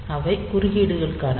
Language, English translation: Tamil, So, there are interrupts